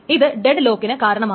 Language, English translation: Malayalam, So it may result in dead locks